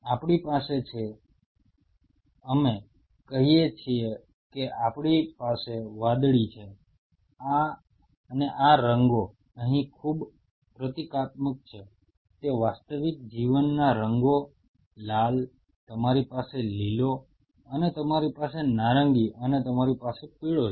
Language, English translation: Gujarati, We have we have say we have blue and these colors are very symbolic here it is it is nothing to do with the real life colors red, you have green and you have a orange and you have yellow